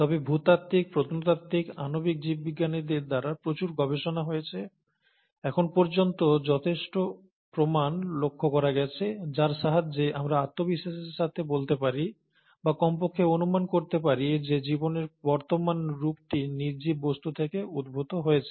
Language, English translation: Bengali, But, lot of studies done by geologists, by archaeologists, by molecular biologists, have noticed that there are enough proofs as of today, with which we can confidently say or at least speculate that the present form of life has evolved from non living things